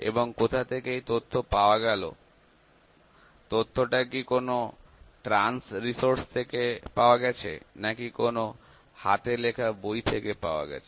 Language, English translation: Bengali, And; where is the data obtained, is the data obtained from the trans resource, is the data obtained from some handbook